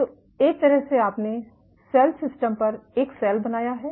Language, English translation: Hindi, So, in a sense you have created a cell on cell system